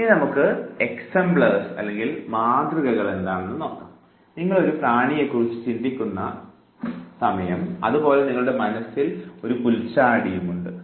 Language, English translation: Malayalam, Now, we come to exemplars, you think of an insect and you have a grasshopper in your mind